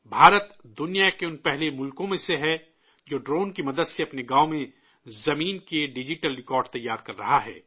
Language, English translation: Urdu, India is one of the first countries in the world, which is preparing digital records of land in its villages with the help of drones